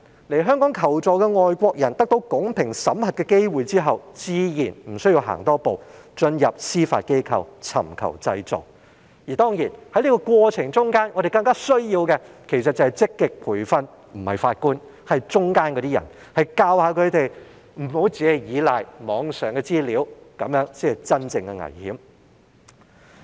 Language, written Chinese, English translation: Cantonese, 來港求助的外國人得到公平審核的機會之後，自然無須多走一步進入司法機構尋求濟助，而在這個過程之中，我們更需要積極培訓的不是法官而是當中的人員，教導他們不要只倚賴網上資料，因為這樣做是真正的危險。, Naturally a foreigner who has come to Hong Kong for help need not go one step further to approach the Judiciary to apply for leave should he be given a fair screening . Throughout the screening process we need to proactively train the screening officers and not judges who should be taught not to rely solely on information on the Internet because so doing is really dangerous